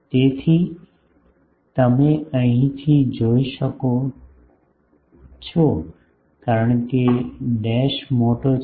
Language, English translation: Gujarati, So, you can see from here since a dash is large